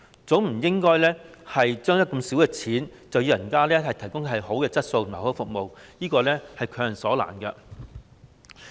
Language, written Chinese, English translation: Cantonese, 總不能用這麼少錢，卻要求別人提供良好質素的服務，這是強人所難。, To ask others to provide good quality services with so little money would put them in a very difficult situation